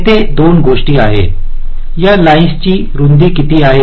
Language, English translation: Marathi, there are two things: what is the width of this lines